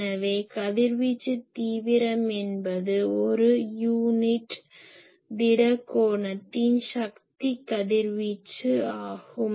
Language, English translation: Tamil, So, the radiation intensity Is the power radiated per unit solid angle ok